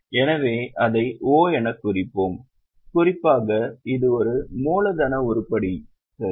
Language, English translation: Tamil, So, we will mark it as O, particularly it is a working capital item